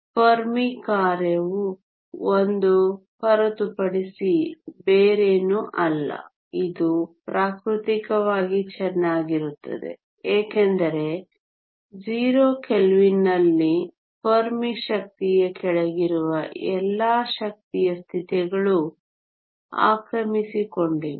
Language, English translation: Kannada, The Fermi function is nothing but 1 this make sense physically is well because at 0 kelvin all the energy states below the Fermi energy are occupied